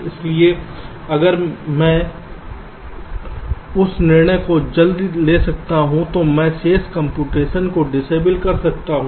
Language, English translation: Hindi, so if i can take that decision early enough, then i can disable the remaining computation